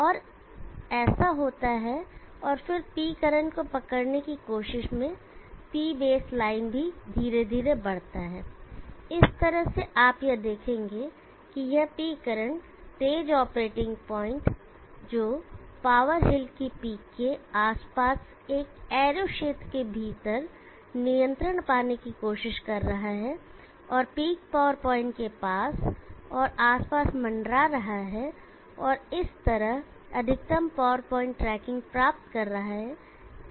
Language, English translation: Hindi, And this happens and then P base line also moves up trying to catch up with P current slowly and in this way you will see that there is this P current fast operating point trying to get control within an arrow region around the peak of the power hill and hovering near and around the peak power point, and thereby achieving maximum power point tracking